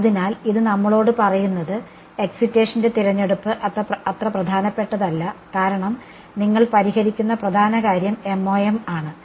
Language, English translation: Malayalam, So, this tells us that the choice of excitation is not so crucial as the vein which you are solving MoM